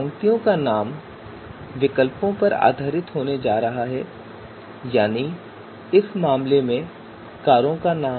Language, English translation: Hindi, So name of row rows are going to be based on the you know alternatives that is name of cars in this case